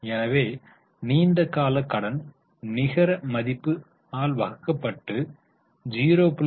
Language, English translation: Tamil, So, long term debt divided by net worth